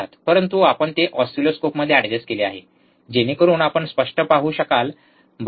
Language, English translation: Marathi, But we adjusted in the oscilloscope so that you can see clearly, right